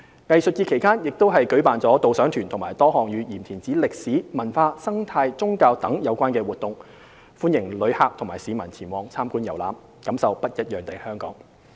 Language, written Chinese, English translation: Cantonese, 藝術節期間亦舉辦導賞團及多項與鹽田梓歷史、文化、生態、宗教等有關的活動，歡迎旅客和市民前往參觀遊覽，感受不一樣的香港。, Guided tours and activities covering the history culture ecology and religion of Yim Tin Tsai will be held for both visitors and locals to explore this unique heritage of Hong Kong